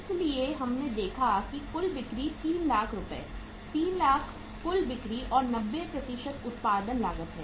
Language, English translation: Hindi, So we have seen that how much was the total sales are of 3 lakh rupees, 300,000 total sales and 90% is the say cost of production